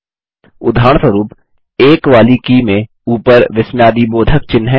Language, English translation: Hindi, For example, the key with the numeral 1 has the exclamation mark on top